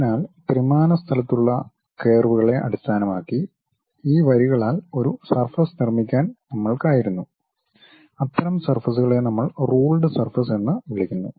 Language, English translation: Malayalam, So, based on the curves what we have in 3 dimensional space we were in a position to construct a surface joining by these lines and that kind of surfaces what we call ruled surfaces